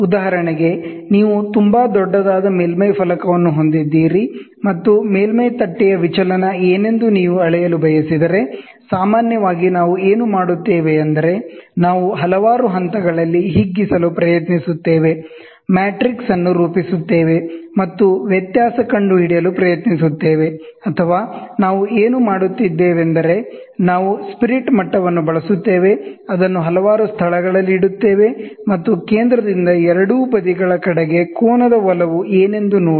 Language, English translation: Kannada, For example, you have a very large surface plate, and if you want to measure what is the deviation of a surface plate, generally what we do is either we try to dilate at several points, form a matrix, and try to find out the variation, or what we do is, we use spirit level, keep it at several locations, and see what is the inclination of angle from the centre towards both sides